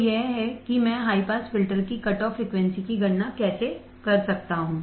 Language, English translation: Hindi, So, this is how I can calculate the cutoff frequency of the high pass filter